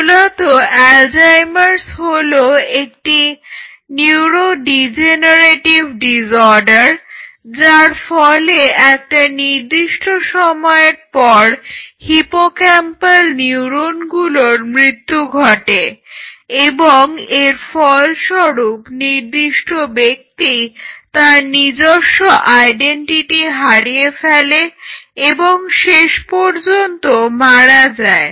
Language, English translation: Bengali, So, there is a neurodegenerative it is basically Alzheimer’s is a neurodegenerative disorder, which leads to the death of hippocampal neuron over a period of time, and eventually the individual loses his or her own identity and eventually they die